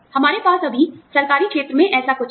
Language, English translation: Hindi, We have something like this, in the government sector, now